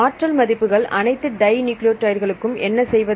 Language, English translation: Tamil, Values Energy values for all dinucleotides and then what to do